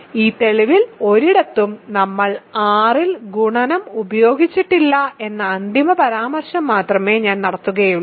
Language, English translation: Malayalam, I will only make the final remark that nowhere in this proof we have used multiplication on R